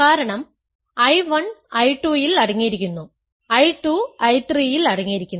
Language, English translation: Malayalam, So, it is ascending because, I 1 is contained in I 2, I 2 is contained in I 3